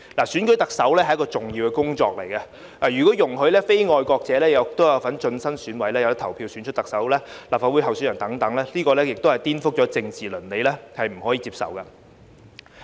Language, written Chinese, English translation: Cantonese, 選舉特首是一項重要工作，如果容許非愛國者有份進身選委，可以投票選出特首及提名立法會議員候選人等，這是顛覆政治倫理，不可以接受。, The selection of the Chief Executive is an important task and it is against political ethics and unacceptable to allow non - patriots to serve on EC select the Chief Executive and nominate candidates for the Legislative Council